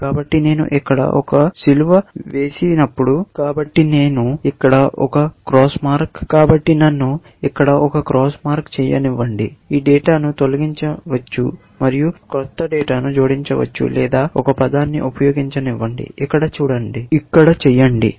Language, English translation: Telugu, So, let me put a cross here; delete this data and may be, it might say, add a new data, or let me use a term; make here